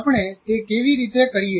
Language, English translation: Gujarati, How do we do it